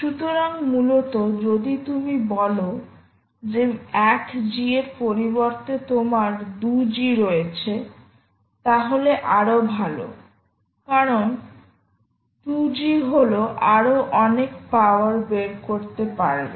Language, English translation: Bengali, so essentially, if you say, ah, you are having a two g instead of one g, then you are much better off because two g is a lot more ah power that you can extract with two g